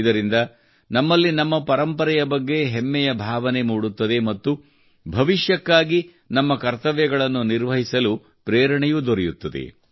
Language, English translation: Kannada, This will instill in us a sense of pride in our heritage, and will also inspire us to perform our duties in the future